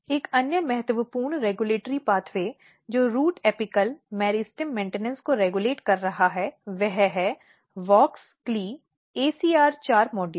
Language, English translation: Hindi, Another important regulatory pathways which is regulating root apical meristem maintenance is WOX CLE ACR4 module